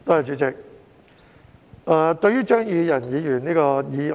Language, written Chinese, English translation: Cantonese, 主席，我發言支持張宇人議員的議案。, President I rise to speak in support of Mr Tommy CHEUNGs motion